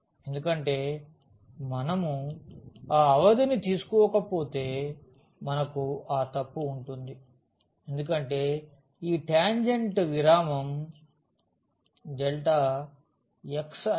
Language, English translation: Telugu, Because, if we do not take the limit we have the error because this tangent is not representing the curve in this interval delta x i